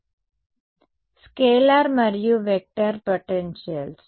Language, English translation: Telugu, So, scalar and vector potentials